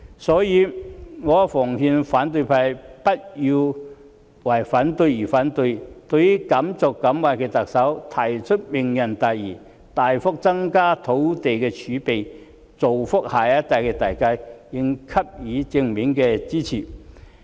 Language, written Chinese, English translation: Cantonese, 所以，我奉勸反對派不要為反對而反對，對於敢作敢為的特首提出"明日大嶼"，大幅增加土地儲備，造福下一代的大計，應給予正面的支持。, Therefore I would advise the opposition camp against opposing for the sake of opposition . When the bold and daring Chief Executive has put forward this major plan of Lantau Tomorrow in an effort to substantially increase our land reserve for the benefit of the next generation she should be given recognition and support